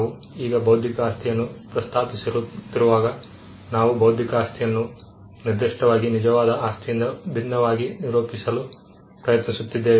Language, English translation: Kannada, Now when we mention intellectual property, we are specifically trying to define intellectual property as that is distinct from real property